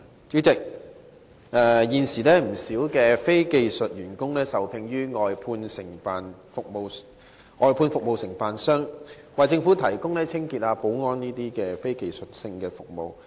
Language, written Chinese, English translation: Cantonese, 主席，現時，有不少非技術員工受聘於外判服務承辦商，為政府部門提供清潔及保安等非技術服務。, President at present quite a number of non - skilled workers are employed by outsourced service contractors to provide services such as cleaning and security to government departments